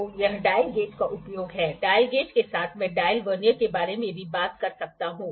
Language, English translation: Hindi, So, this is the use of dial gauge yes with dial gauge I can also talk about the dial Vernier